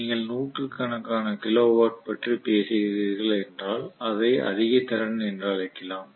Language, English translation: Tamil, So if it is tens of kilo watts we may still call it as low capacity